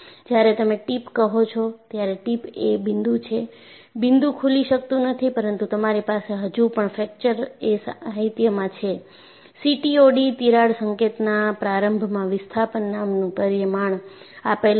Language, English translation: Gujarati, See, when you say a tip, tip is a point; the point cannot open, but you still have in fracture literature, a parameter called CTOD crack tip opening displacement